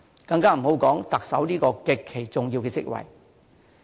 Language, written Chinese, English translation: Cantonese, 更不用說特首這個極其重要的職位。, And the post of Chief Executive is such an extremely important one I must add